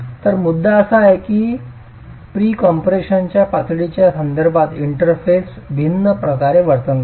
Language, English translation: Marathi, So the point is that interface will behave differently with respect to the level of pre compression